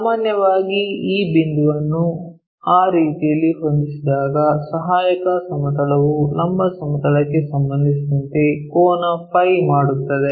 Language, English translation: Kannada, Usually, this point P when it is set up in that way the auxiliary plane makes an angle phi with respect to the vertical plane